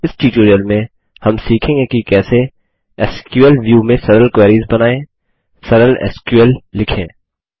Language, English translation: Hindi, In this tutorial, we will learn how to Create Simple Queries in SQL View, Write simple SQL